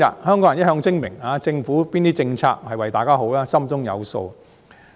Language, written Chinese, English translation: Cantonese, 香港人一向精明，政府哪些政策是為香港人好，大家心中有數。, Hong Kong people are always smart . They know deep down their heart which government policies are for the good of Hong Kong people